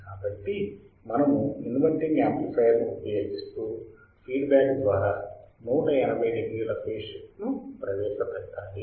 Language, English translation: Telugu, So, first thing we understood that inverting amplifier then what we are to use a feedback network which can introduce 180 degree phase shift